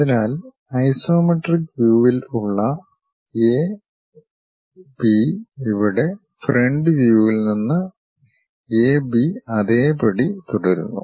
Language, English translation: Malayalam, So, A B here at the isometric view A B here from the front view remains one and the same